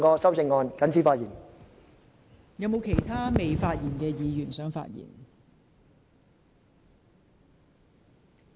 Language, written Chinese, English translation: Cantonese, 是否有尚未發言的委員想發言？, Does any Member who has not spoken wish to speak?